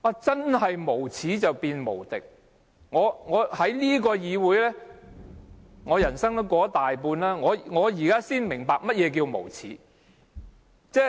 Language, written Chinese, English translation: Cantonese, 真是無耻便無敵，我在這個議會裏度過了大半人生，我現在才明白，何謂無耻。, A shameless person is really unbeatable . Having been a Member of the Legislative Council for more than half of my life I finally understand what is meant by shameless